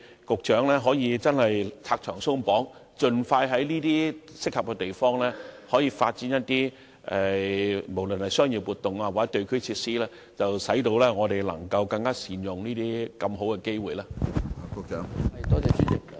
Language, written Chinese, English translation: Cantonese, 局長可否拆牆鬆綁，盡快在適合的地方發展商業活動以至地區設施，藉以更加善用這些大好機會？, Is it possible for the Secretary to abolish unnecessary regulations and restrictions so that commercial activities and even regional facilities may be developed expeditiously in suitable sites with a view to making best use of such golden opportunities?